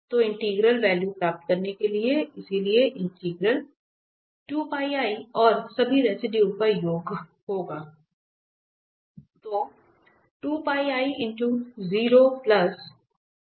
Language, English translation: Hindi, So, to get the integral value there, so the integral i will be 2 Pi i and the sum of all the residues